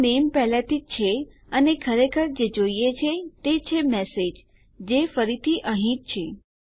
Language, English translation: Gujarati, So we got the name already and all we really need is the message which again is here